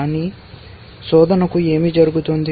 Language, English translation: Telugu, But what happens to the search